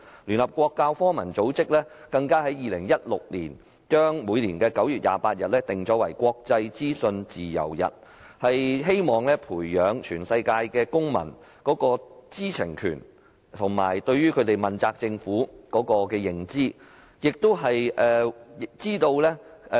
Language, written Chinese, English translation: Cantonese, 聯合國教育、科學與文化組織更在2016年把每年9月28日訂為"國際資訊自由日"，希望培養全球公民的知情權，以及向政府問責的認知。, The United Nations Educational Scientific and Cultural Organization even marked 28 September of each year as the International Day for the Universal Access to Information in 2016 in the hope of cultivating in the global citizens the right to information and awareness of government accountability